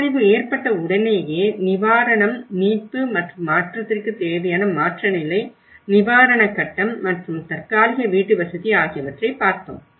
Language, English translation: Tamil, Then immediately after the disaster, the relief, recovery and transition you know, what is the transition phase, the relief phase of it and the temporary housing